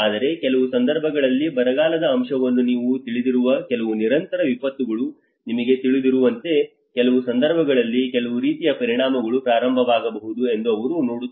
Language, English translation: Kannada, But in certain occasions like you know the drought aspect you know certain continuous disaster, they see that yes there is some kind of impacts may start